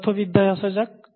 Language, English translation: Bengali, How did we learn physics